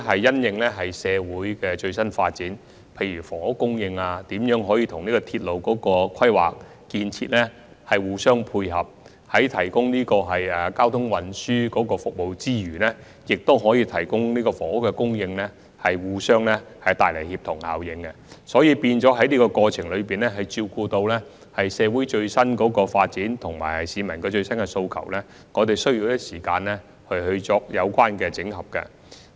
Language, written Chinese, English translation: Cantonese, 基於社會的最新發展，例如房屋供應、如何使之與鐵路規劃和建設互相配合，在提供交通運輸服務之餘同時作出房屋供應，帶來協同效應，我們需要在這過程中，為照顧社會的最新發展和市民的最新訴求，花一些時間作出相關的整合。, In the light of the latest social developments such as our housing supply and how we should tie it in with railway planning and construction so as to bring about synergy effects of providing transportation services and housing at the same time we need to spend some time on making some consolidation in the process having regard to the latest social developments and aspirations of the community